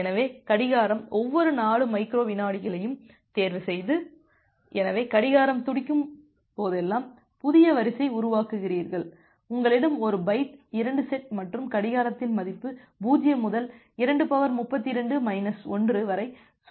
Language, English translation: Tamil, So, the clock ticked every 4 microseconds, so whenever the clock is ticking you are generating a new sequence number if you have a byte 2 set and the value of the clock it cycles from 0 to 2 to the power 32 to minus 1